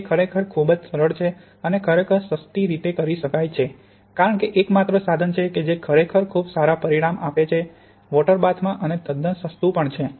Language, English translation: Gujarati, It is really very simple and can be done really cheaply because the only equipment that is really very consequence is this water bath and even that is quite cheap